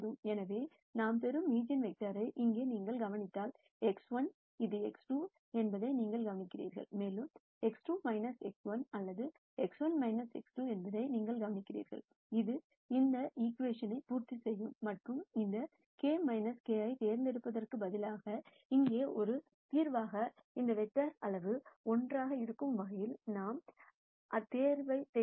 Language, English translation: Tamil, So, if you notice here the eigenvector that we get, you notice that x 1, and this is x 2 and you notice that x 2 is minus x 1 or x 1 is minus x 2, which is what will satisfy this equation and instead of picking any k minus k as a solution here, we pick a k in such a way that the magnitude of this vector is 1